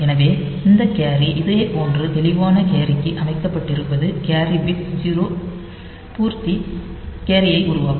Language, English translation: Tamil, So, this carry is set to one similarly clear carry will make the carry bit 0 complement carry